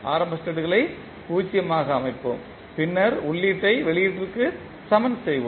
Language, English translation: Tamil, We will set the initial states to 0 and then we will equate input to output